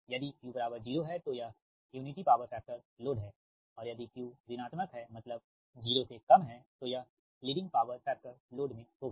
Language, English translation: Hindi, if q is equal to zero, it is unity power factor load, and if q is negative, that is, less than zero, it will be in leading power factor load